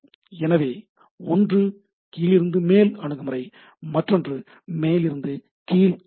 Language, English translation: Tamil, So, one is bottom up approach or is the top down approach